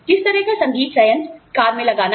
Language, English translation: Hindi, What kind of music system, to put in the car